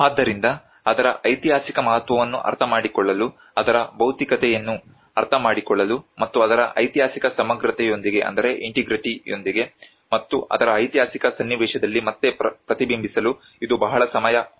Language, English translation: Kannada, So it needs a very longer time to actually understand its historical significance, understand its materiality and then reflect back with its historic integrity and within its historic context